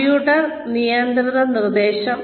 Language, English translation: Malayalam, Computer managed instruction